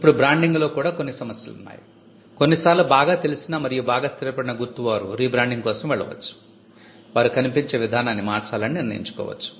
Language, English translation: Telugu, Now, branding it also has certain issues some sometimes mark that is well known and well established may go for a rebranding they may decide to change the way they look